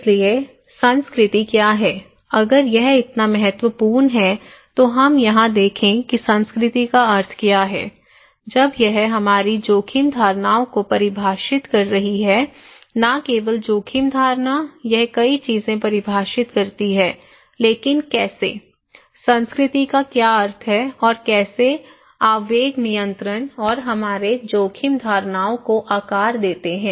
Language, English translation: Hindi, So, what is culture then, if it is so important, let us look here that what is the meaning of culture, when it is defining our risk perceptions, not only risk perception, it defines many things but how, what is the meaning of culture and how the impulse control and shape our risk perceptions